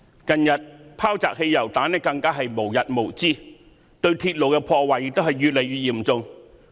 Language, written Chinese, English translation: Cantonese, 近日，擲汽油彈更是無日無之，對鐵路的破壞亦越來越嚴重。, Recently petrol bombs are thrown nearly every day and vandalizing of railways has grown increasingly serious